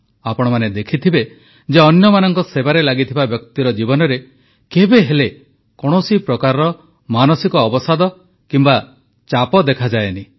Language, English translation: Odia, You must have observed that a person devoted to the service of others never suffers from any kind of depression or tension